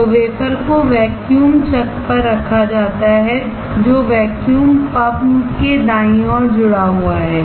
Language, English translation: Hindi, So, wafer is held on to the vacuum chuck which is connected right to the vacuum pump